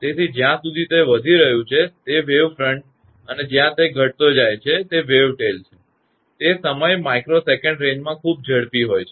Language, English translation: Gujarati, So, this is your wave front as long as it is rising and wave tail, when it is decreasing, the time is very fast in microsecond range